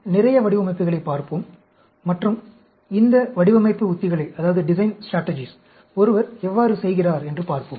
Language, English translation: Tamil, We will look at more designs and how one goes about performing these design strategies